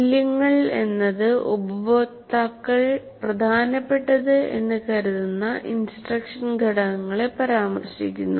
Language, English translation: Malayalam, Values refer to elements of instruction deemed to be important by the stakeholders